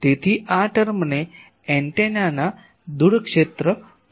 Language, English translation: Gujarati, So, this term is called far field of the antenna